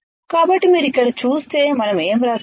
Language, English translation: Telugu, So, if you see here, what we have written